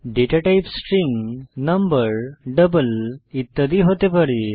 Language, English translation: Bengali, The data type can be string, number, double etc